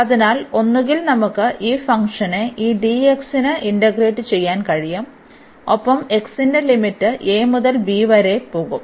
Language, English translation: Malayalam, So, either we can integrate this function over this dx and the limit for x will go from a to b